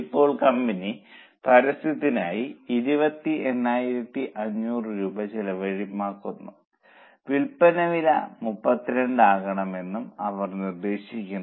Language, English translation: Malayalam, Now they suggest that company should spend 28,500 on advertising and put the sale price up to 32